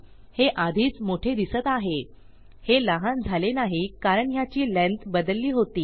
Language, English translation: Marathi, This is looking longer already, it hasnt been cut short because I have changed the length of this